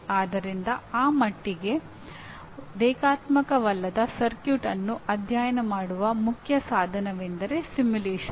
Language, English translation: Kannada, So to that extent the main tool of studying such and that to a nonlinear circuit is simulation